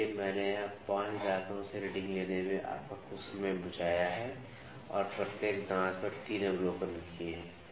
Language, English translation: Hindi, So, I have saved some of your time on taking the readings from 5 teeth here and 3 observations each tooth is taken